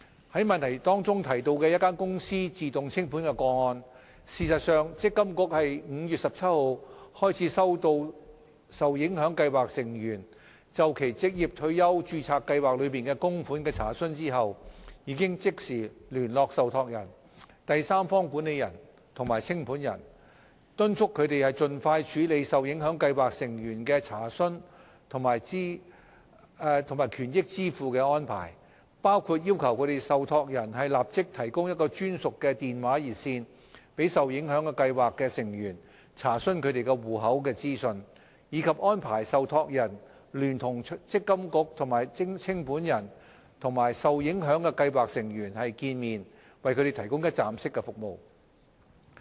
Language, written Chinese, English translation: Cantonese, 就質詢中提到的一間公司自動清盤個案，事實上，積金局自5月17日開始收到受影響計劃成員就其註冊計劃內的供款的查詢後，已即時聯絡受託人、第三方管理人及清盤人，敦促他們盡快處理受影響計劃成員的查詢及權益支付的安排，包括要求受託人立即提供專屬的電話熱線，讓受影響計劃成員查詢他們戶口的資訊，以及安排受託人聯同積金局和清盤人與受影響的計劃成員會面，為他們提供一站式服務。, With regard to the case of voluntary winding up of a company as mentioned in the question after receiving enquiries from affected scheme members since 17 May about contributions held in the relevant ORSO scheme MPFA has in fact immediately contacted the trustee the third - party administrator and the liquidator urging them to handle enquiries from affected scheme members and arrange for payment of benefits as soon as possible . MPFA has requested the trustee concerned to provide dedicated hotline service for account enquiries by affected scheme members and arrange a meeting with affected scheme members together with MPFA and the liquidator for providing one - stop services to the scheme members